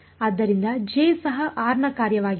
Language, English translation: Kannada, So, even J is a function of r